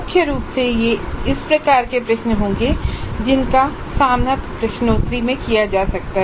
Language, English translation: Hindi, So, primarily this would be the type of questions that one could encounter in quizzes